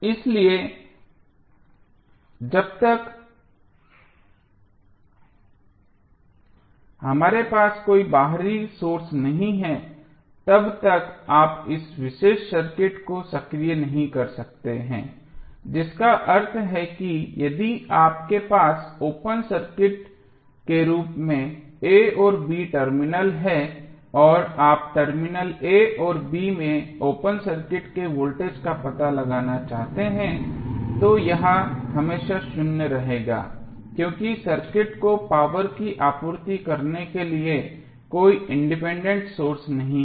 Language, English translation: Hindi, So, until unless we have any external source you cannot energies this particular circuit that means that if you are having the a and b terminal as open circuited and you want to find out the open circuit voltage across terminal a and b this will always be zero because there is no independent source to supply power to the circuit